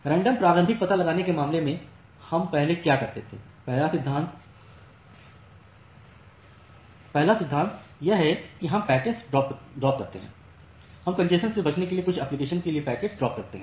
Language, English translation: Hindi, So, in case of random early detection what we do first, the first principle is that we drop the packets; we drop the packets for certain applications to avoid the congestion